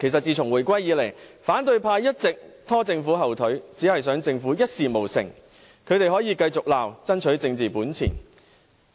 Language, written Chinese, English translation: Cantonese, 自從回歸以來，反對派一直拖政府後腿，只想政府一事無成，他們可以為爭取政治本錢繼續責罵。, Since the reunification the opposition has been hindering the Government for the sole purpose of barring it from achieving anything and they can keep reproaching the Government as a means of striving for political assets